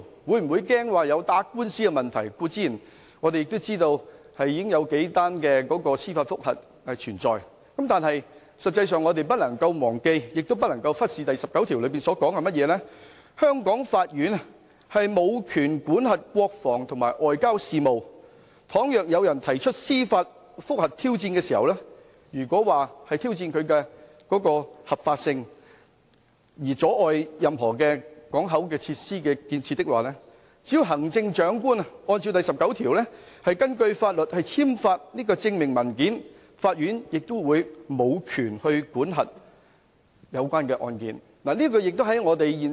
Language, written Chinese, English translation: Cantonese, 我們固然知道現時已有數宗司法覆核案件存在，但我們實際上不能夠忘記亦不能夠忽視第十九條的條文，香港法院無權管轄國防及外交等國家行為，倘若有人提出司法覆核挑戰，如果是挑戰當中的合法性而阻礙了任何口岸設施的建設，行政長官只要按照第十九條，根據法律，簽發證明文件，法院亦無權管核有關的案件。, We of course learn of the few judicial review cases at this moment but we actually can neither forget nor ignore the provision in Article 19 which stipulates that the courts of Hong Kong shall have no jurisdiction over acts of state such as defence and foreign affairs . Should anyone challenges the legitimacy in this respect by means of judicial review and obstructs the building of any facilities in the port area the Chief Executive can simply sign a certificate according to Article 19 under the law so that the courts will have no jurisdiction over the cases concerned